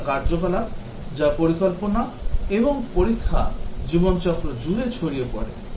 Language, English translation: Bengali, The test activities, that is; planning and testing spread over the life cycle